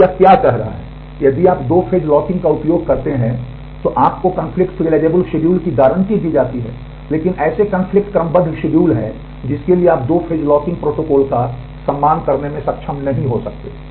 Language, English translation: Hindi, So, what this is saying if you use two phase locking you are guaranteed to have conflict serializable schedule, but there are conflicts serializable schedules for which you may not be able to honor the 2 phase locking protocol